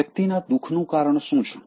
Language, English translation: Gujarati, What causes misery to a person